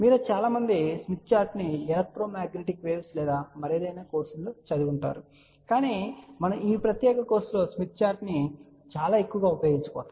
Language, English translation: Telugu, I am sure many of you would have studied smith chart in the electromagnetic waves or some other course, but since we are going to use smith chart in this particular course very heavily